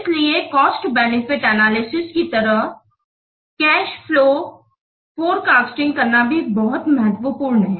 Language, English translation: Hindi, So like cost benefit analysis, it is also very much important to produce a cash flow forecast